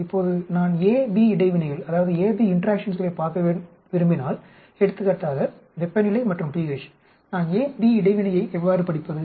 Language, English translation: Tamil, Now if I want to look at interaction A, B that means temperature pH example I am coming back so how do I study interaction A, B